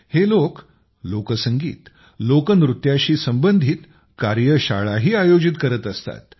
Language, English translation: Marathi, These people also organize workshops related to folk music and folk dance